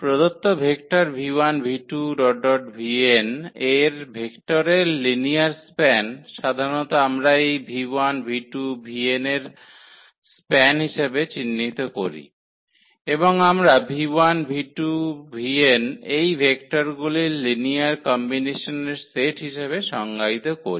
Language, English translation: Bengali, So, linear span of vectors of given vectors v 1, v 2, v 3, v n this is defined as and usually we denote as a span of this v 1, v 2, v 3, v n and we define as the set of all these linear combinations of these vectors v 1, v 2, v 3, v n